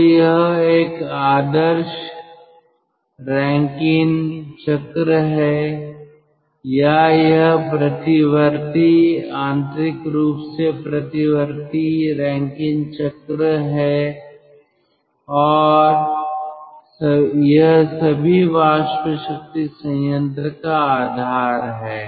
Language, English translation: Hindi, so this is an ideal rankine cycle or this is reversible, internally reversible rankine cycle and this is the basis of all steam power plant